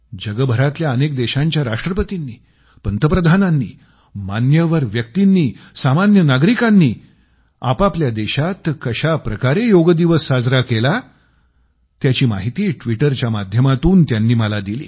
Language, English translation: Marathi, The Presidents, Prime Ministers, celebrities and ordinary citizens of many countries of the world showed me on the Twitter how they celebrated Yoga in their respective nations